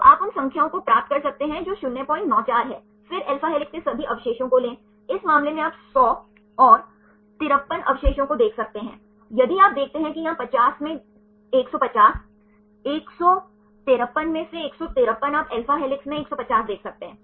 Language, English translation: Hindi, 94, then take the all the residues in alpha helix in this case you can see 100 and 53 residues right if you see here 50 had a 150 153 out of 153 you can see 150 in alpha helix